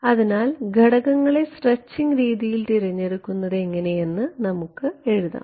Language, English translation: Malayalam, So, let us write down our choice of stretching parameters right